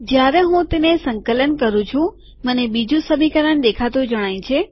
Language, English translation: Gujarati, When I compile it, I get the second equation appearing